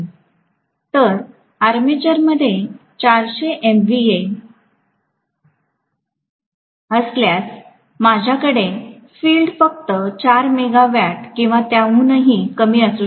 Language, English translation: Marathi, So if the armature is having 400 MVA I may have the field to be only about 4 megawatt or even less